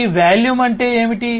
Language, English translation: Telugu, So, what is this volume